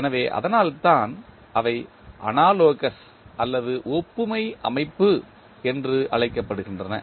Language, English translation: Tamil, So, that is why they are called as analogous system